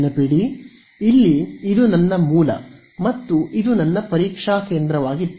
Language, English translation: Kannada, Remember, here, this was my source and this was my testing point